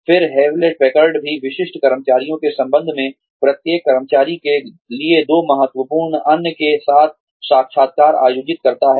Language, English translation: Hindi, Then, Hewlett Packard also conducts interviews, with two significant others, for every employee, regarding the specific employee